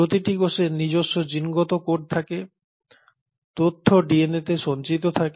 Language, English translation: Bengali, So each cell has its genetic code, its information stored in the DNA